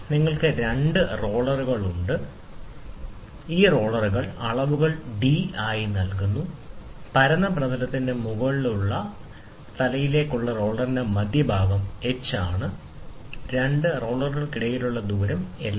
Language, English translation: Malayalam, You have two rollers, these roller dimensions are given as d, and the centre of the roller to the head to the top of the flat surface is h, and between two rollers, the distance is L